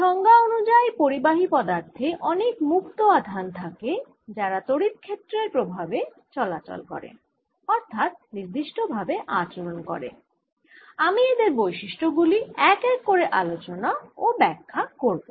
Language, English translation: Bengali, today a conductor, by definition, has has free charges that move under the influence of an electric field and therefore it behaves in a particular way, and i am going to take its properties one by one and explain them